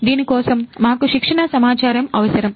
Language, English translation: Telugu, So, for this we need training data